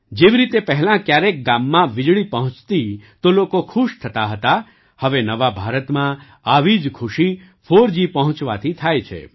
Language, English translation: Gujarati, Like, earlier people used to be happy when electricity reached the village; now, in new India, the same happiness is felt when 4G reaches there